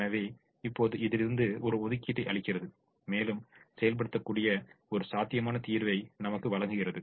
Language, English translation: Tamil, so now, this gives us an allocation, an allocation and gives us a solution which can be implemented and which is feasible